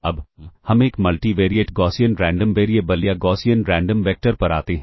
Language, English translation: Hindi, Now, let us come to a multi normal, Multivariate Gaussian Random Variable or a Gaussian Random Vector